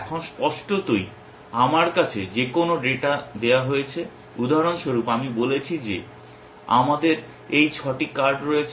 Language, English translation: Bengali, Now, obviously given any data that I have so, for example, I said that we have these 6 cards